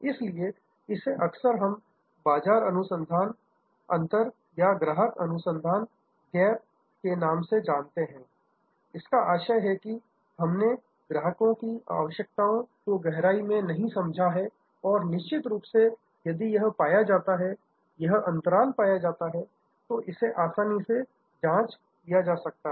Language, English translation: Hindi, So, this is often we call the market research gap or customer research gap; that means, we have not understood the customers requirement well in depth and this can of course, once if this is found, this is gap is found, then is can be easily calibrated